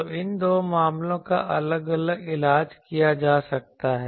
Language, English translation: Hindi, So, these two cases can be treated separately